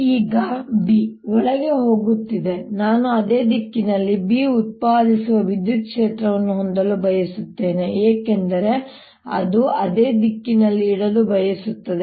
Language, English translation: Kannada, i would like to have an electric field that produces b in the same direction because it wants to keep the same